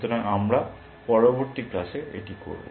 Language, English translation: Bengali, So, we will do that in the next class